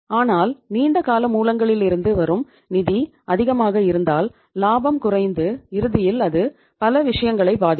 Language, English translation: Tamil, But if the funds from long term sources is coming more in that case your profit will go down and uh ultimately it will impact many things